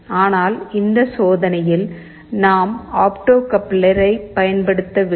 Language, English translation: Tamil, But in this experiment we are not using the opto coupler